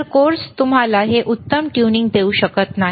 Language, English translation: Marathi, So, course cannot give you this fine tuning